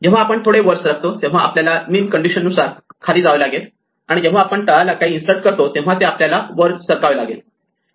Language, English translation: Marathi, When we move something up we have to move it down according to the min condition and when we insert something at the bottom we have to move it up right